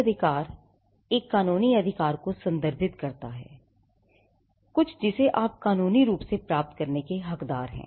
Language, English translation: Hindi, A right refers to a legal entitlement, something which you are entitled to get legally